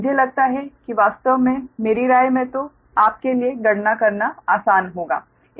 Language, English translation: Hindi, in my opinion, then things will be easier for you to calculate